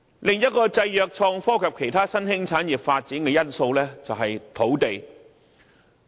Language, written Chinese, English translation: Cantonese, 另一個限制了創科及其他新興產業發展的因素，就是土地。, Land supply is another factor which restricts the development of innovation and technology industry and other emerging industries